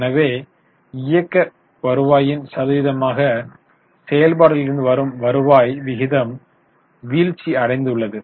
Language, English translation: Tamil, So, there is a fall in the ratio of cash from operations as a percentage of operating revenue